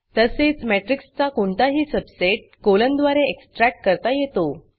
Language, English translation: Marathi, Also, any subset of a matrix can be extracted using a colon (:)